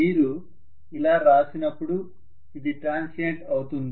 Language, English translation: Telugu, When you write that, that is transient